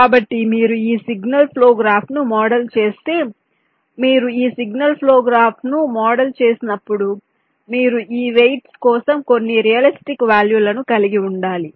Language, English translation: Telugu, so if you model this signal flow graph, one thing: when you model this signal flow graph, you have to have some realistic values for this weights